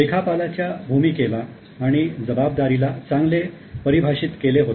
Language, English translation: Marathi, Now the role and responsibility of accountant has been quite well defined